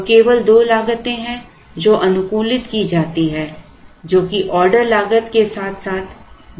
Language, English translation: Hindi, So, there are only two costs which are optimized which are the order cost as well as the carrying cost